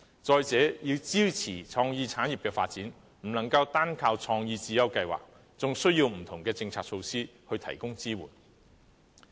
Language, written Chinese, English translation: Cantonese, 再者，要支持創意產業的發展，不能單靠創意智優計劃，還需要不同的政策措施提供支援。, Furthermore to support the development of creative industries we cannot solely rely on CSI . We also need different policy initiatives to provide support